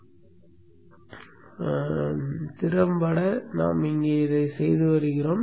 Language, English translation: Tamil, This is effectively what that we are doing here